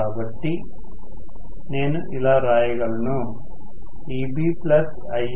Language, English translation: Telugu, So, I can write Eb plus IaRa equal to Va